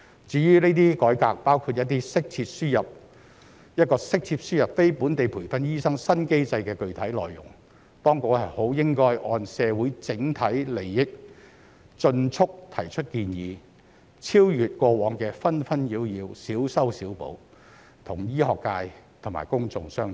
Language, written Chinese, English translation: Cantonese, 至於這些改革，包括一個適切輸入非本地培訓醫生新機制的具體內容，當局應該按社會整體利益，盡速提出建議，超越過往的紛紛擾擾、小修小補，與醫學界及公眾商討。, Regarding these reforms including the specific details of a new mechanism for the proper importation of non - locally trained doctors the authorities should having regard to the overall interest of society expeditiously put forward proposals that go beyond the hassles and piecemeal remedies in the past and discuss with the medical sector and the public